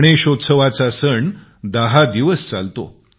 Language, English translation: Marathi, Ganesh Chaturthi is a tenday festival